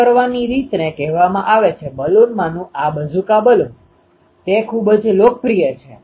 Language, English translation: Gujarati, One way of doing this this is called a one of the Balun is this Bazooka Balun, it is very popular